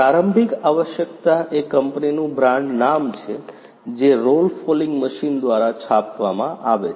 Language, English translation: Gujarati, The initial requirement is the brand name of the company which is printed by the roll fouling machine